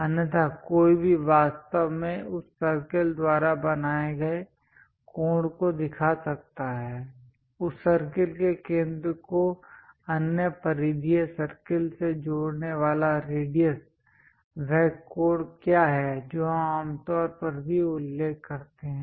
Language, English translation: Hindi, Otherwise, one can really show angle made by that circle, the radius connecting center of that circle to other peripheral circle, what is that angle also we usually mention